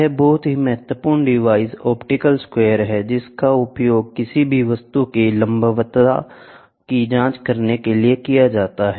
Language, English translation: Hindi, This is very very important device optical square which is used to check the perpendicularity of any object